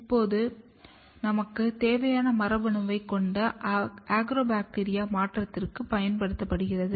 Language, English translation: Tamil, The Agrobacterium which is having my gene of interest is used for a transformation